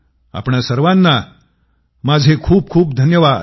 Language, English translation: Marathi, I Thank all of you once again